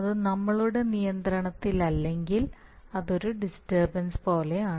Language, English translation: Malayalam, So if it is not in our hand then it is like a disturbance